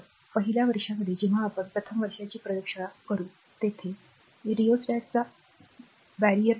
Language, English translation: Marathi, So, in the first year when we will first year when we will do first year lab, there you will see barrier type of rheostat, right